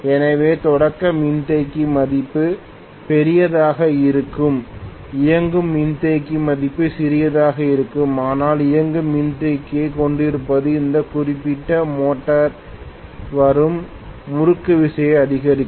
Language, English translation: Tamil, So starting capacitor value will be larger, running capacitor value will be smaller, but having the running capacitor will enhance the torque that is coming up in this particular motor